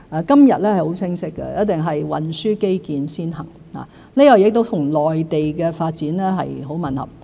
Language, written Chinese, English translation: Cantonese, 今日是很清晰的，一定是運輸基建先行，這亦與內地的發展很吻合。, Nowadays the transport infrastructure - led approach which is very much in line with the developments of the Mainland should apparently be our choice